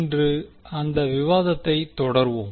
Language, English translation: Tamil, So we will just continue our discussion